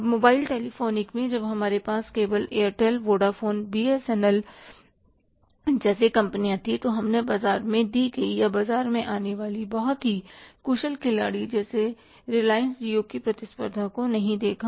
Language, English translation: Hindi, Now in the mobile telephone when we had only say companies like Airtel, Boda phone, Bs and L, we have not seen the competition say given in the market or say coming up in the market from the say very efficient player like Reliance Geo